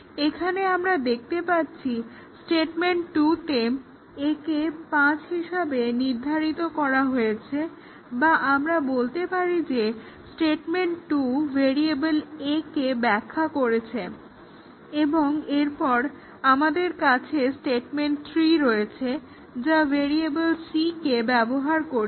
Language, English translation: Bengali, Just to give an example, let us look at this c program and here as we can see in statement two a is assigned 5 or we say that statement 2 defines variable a and then we have statement 3 which a uses of variable c, statement 4 as uses of d, but if you look at statement 5, we have use of variable a